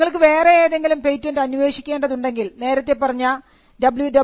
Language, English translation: Malayalam, So, if you want to search any other patent, you could go to www